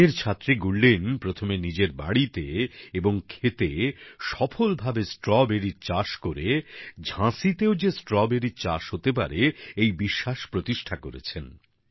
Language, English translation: Bengali, A Law student Gurleen carried out Strawberry cultivation successfully first at her home and then in her farm raising the hope that this was possible in Jhansi too